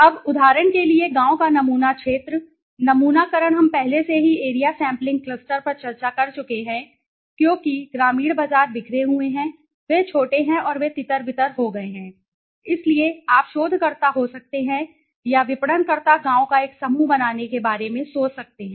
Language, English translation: Hindi, Now, the village sampling for example area sampling we have already discussed area sampling cluster sampling, because the rural markets are scattered they are small and you know they dispersed so you can there researcher or the marketer can think of making a cluster of villages also a single unit right